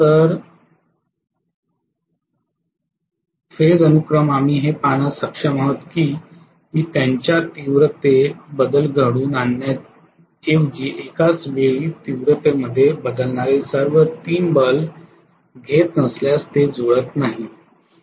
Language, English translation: Marathi, So phase sequence we will be able to see that they are not matching if I am not going to have all the 3 bulbs varying in their intensity simultaneously rather than that they are having phased out variation in their intensities